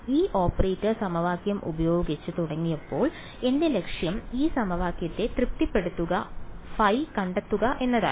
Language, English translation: Malayalam, My objective when I started with this operator equation was to find out the phi that satisfies this equation